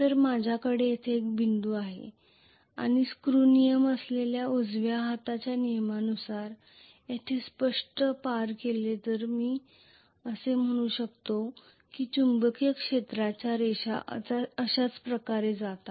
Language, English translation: Marathi, So you if I am going to have a dot here and cross here obviously according to the right hand rule that is screw rule, I can say the basically magnetic field lines are going to go like this